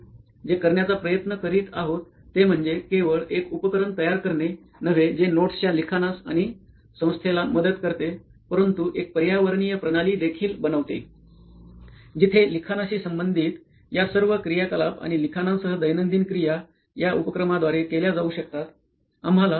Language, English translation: Marathi, So what we are trying to do is not just build a device which helps writing and organization of notes but also creates an ecosystem, probably an infrastructure where all these activities associated with writing and also daily activities which include writing can be done through this device